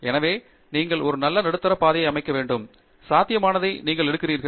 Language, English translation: Tamil, So, you have to hit a nice middle path; you take what is possible